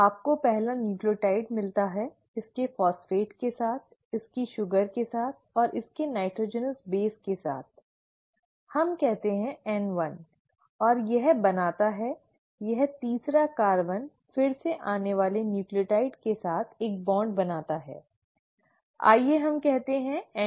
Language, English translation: Hindi, You get the first nucleotide, with its phosphate, with its sugar and with its nitrogenous base let us say N1, and this forms, this third carbon forms again a bond with the next incoming nucleotide, let us say N2